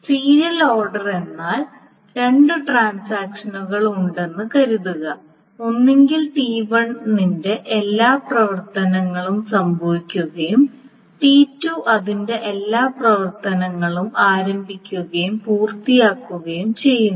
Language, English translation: Malayalam, So suppose there are two transactions, either T1, all the operations of T1 happen and then T2 starts and completes all its operations, or T2 first finishes of all its operations and then T1 starts